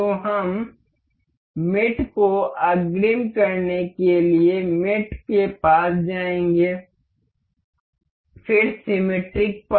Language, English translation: Hindi, So, we will go to mate to advance mate, then the symmetric one